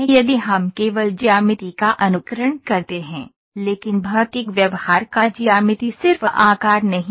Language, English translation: Hindi, If we only simulate the geometry, but not the physical behaviour geometry is just the size